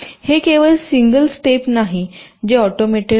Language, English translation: Marathi, it is not just a single step which is automated